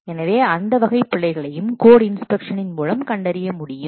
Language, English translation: Tamil, So those types of errors also can be detected by code inspection